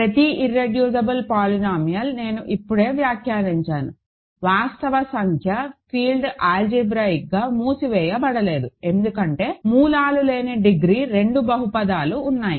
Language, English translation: Telugu, So, let show that every irreducible polynomial so, I just commented in the just now, that real number field is not algebraically closed, algebraically closed because there are degree two polynomials which have no roots